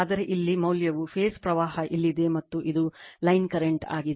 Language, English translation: Kannada, But, here the value here the phase current is here, and this is line current